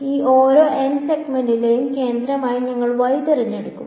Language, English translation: Malayalam, So, let us choose the centre of each of these n segments